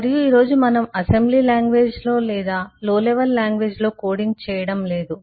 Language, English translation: Telugu, and this is given that we are not today not coding in assembly language or a low level language